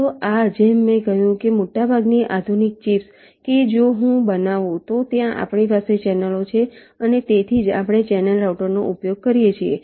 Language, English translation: Gujarati, so this, as i said, most of the modern chips that if i fabricate, there we have channels and thats why we use channel routers